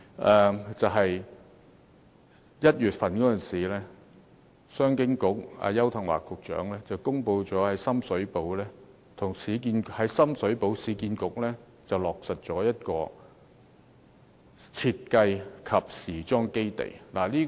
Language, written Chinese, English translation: Cantonese, 商務及經濟發展局邱騰華局長在1月時公布，市區重建局在深水埗落實成立一個設計及時裝基地。, In January the Secretary for the Commerce and Economic Development Bureau Mr Edward YAU announced that the Urban Renewal Authority URA will launch a design and fashion project in Sham Shui Po